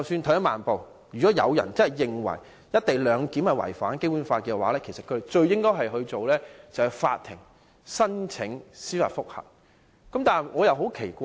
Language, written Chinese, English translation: Cantonese, 退一萬步來說，即使有人認為"一地兩檢"違反《基本法》，他們應該做的是向法院提出司法覆核。, At the very least even if anyone holds that the co - location arrangement violates the Basic Law what they should do is to apply to the Court for judicial review